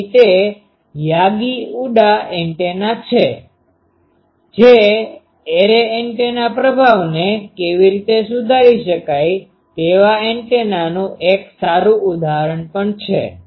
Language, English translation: Gujarati, So, that is Yagi Uda antenna that also is an good example of antenna, that how array antenna can improve the performance